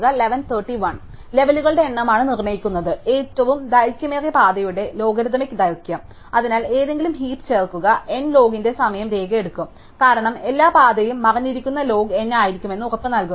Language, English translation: Malayalam, And the number of levels is what determines, the logarithmic length of the longest path and therefore, insert an any heap will take time log of N, because there is every path is going to be guaranty to be of height log N